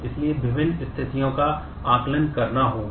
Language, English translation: Hindi, So, different situations will have to be assessed